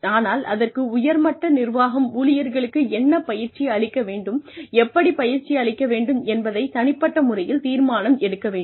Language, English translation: Tamil, But, the top management has to be personally involved in deciding, what the employees need to be trained in, and how